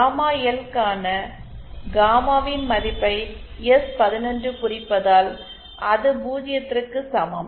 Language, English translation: Tamil, Since s11 represents the value of gamma in for gamma L is equal to zero